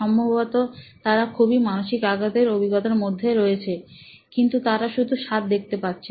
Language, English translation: Bengali, Probably a very, very traumatic experience but what do they see to get it down is the roof